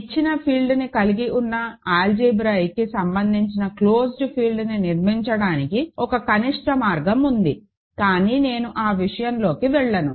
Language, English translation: Telugu, There is sort of a minimal way of constructing an algebraically closed field containing a given field, but let me not get into that ok